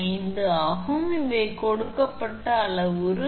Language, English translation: Tamil, 5 these are the parameter given